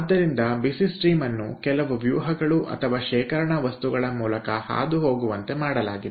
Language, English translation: Kannada, so the hot stream is made to pass through some matrix or storage material